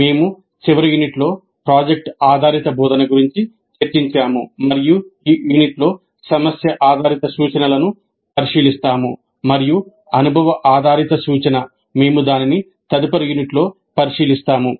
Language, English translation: Telugu, We discussed project based instruction in the last unit and we look at problem based instruction in this unit and experience based instruction we look at it in the next unit